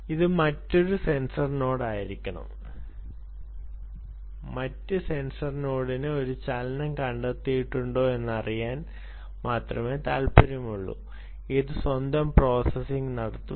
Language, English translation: Malayalam, the other sensor node is only interested to know if there is a motion that is detected and it will do its own ah processing